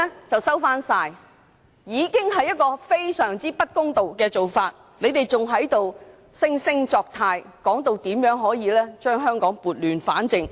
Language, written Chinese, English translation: Cantonese, 這已經是一種非常不公道的做法，他們還惺惺作態，說這樣可以把香港撥亂反正。, That is very unfair yet but some Members are hypocritical saying that they have set wrong things right for Hong Kong